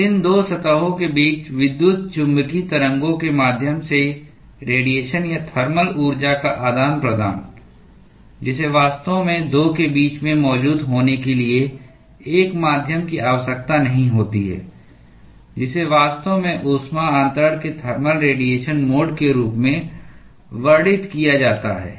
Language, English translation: Hindi, So, the exchange of radiation or thermal energy via the electromagnetic waves between these 2 surfaces, which does not really require a medium to be present in between the 2 is what is actually described as a thermal radiation mode of heat transfer